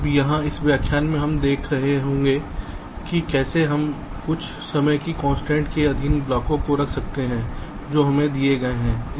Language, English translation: Hindi, now here in this lecture we shall be looking at how we can place the blocks subject to some timing constraints which are given to us